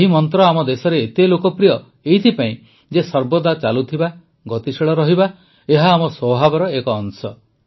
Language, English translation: Odia, This mantra is so popular in our country because it is part of our nature to keep moving, to be dynamic; to keep moving